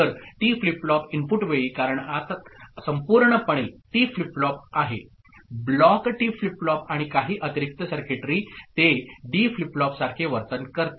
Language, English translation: Marathi, So, at the time at the T flip flop input, because inside there is a T flip flop as a whole the block T flip flop plus some additional circuitry, it behaves like a D flip flop